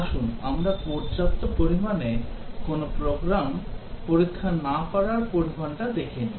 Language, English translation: Bengali, Let us see the consequence of not testing adequately a program